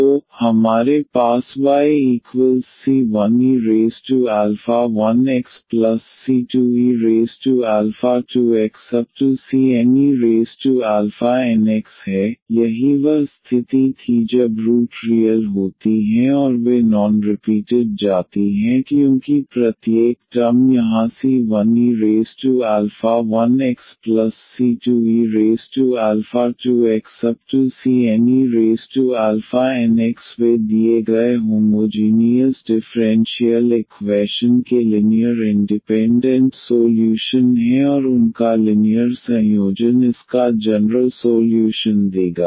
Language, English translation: Hindi, So, we have y is equal to c 1 e power alpha 1 x plus c 2 e power alpha 2 x and so on c n e power alpha n x, that was the case when the roots are real and they are non repeated because each of the term here e power alpha 1 x e power alpha 2 x e power alpha n x they are the linearly independent solutions of the given homogeneous differential equation and their linear combination will give the general solution of the given differential equation